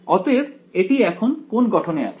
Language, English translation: Bengali, So now, it is in the what form